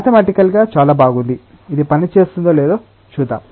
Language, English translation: Telugu, Mathematically very nice, we will see whether it works or not